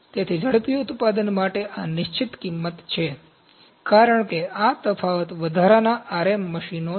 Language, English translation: Gujarati, So, this is fixed cost for rapid manufacturing, because this difference is additional RM machines ok